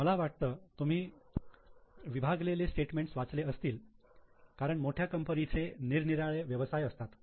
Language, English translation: Marathi, I think you would have read segmental statements because for large companies they are having businesses of different types